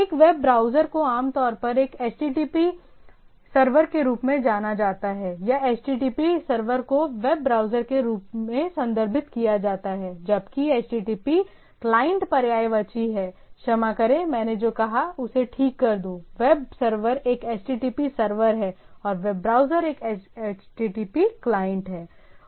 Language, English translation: Hindi, So, a web browser is a typically known as a is referred as a HTTP server or rather HTTP server is referred to as web browser whereas HTTP client is synonymous, more synonymous with the sorry, web server is a HTTP server and the web browser is the HTTP client